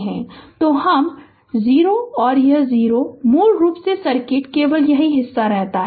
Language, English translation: Hindi, So, i y 0, so this is 0 basically circuit remains only this part